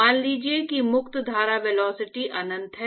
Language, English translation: Hindi, So, let us say the free stream velocity is uinfinity